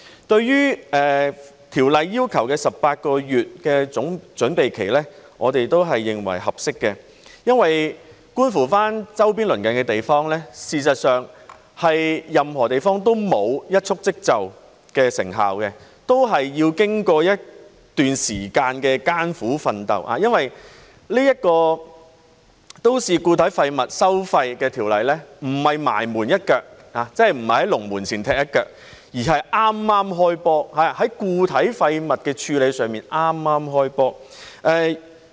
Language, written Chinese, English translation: Cantonese, 對於法案要求的18個月準備期，我們認為是合適的，因為觀乎周邊鄰近的地方，事實上，任何地方都沒有一蹴而就的成效，都是要經過一段時間的艱苦奮鬥，因為這項都市固體廢物收費的法案不是"埋門一腳"，即不是在龍門前踢一腳，而是剛剛"開波"，在固體廢物的處理上剛剛"開波"。, Regarding the 18 - month preparatory period as required by the Bill we consider it appropriate because if we look at the neighbouring places we will see that success was not achieved instantly in any of these places as they all had to work very hard for a period of time . It is also because this Bill on MSW charging is not the final kick to scoring a goal that is it is not the last kick before the goalpost . Rather the match has just started